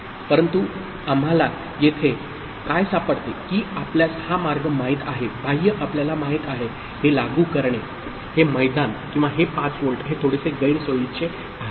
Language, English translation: Marathi, But what we find here that this way of you know, applying external you know, this ground or 5 volt this is a bit inconvenient